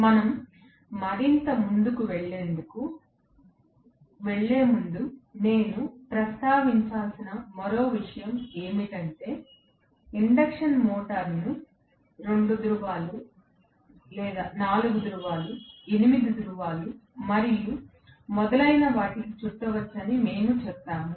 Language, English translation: Telugu, One more point I have to mention before we move on further is, we told that the induction motor can be wound for 2 pole, 4 pole, 8 pole, and so on